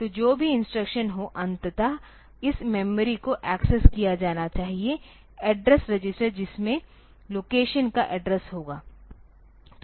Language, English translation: Hindi, So, whatever be the instruction if ultimately this memory has to be accessed the address register will contain the address of the location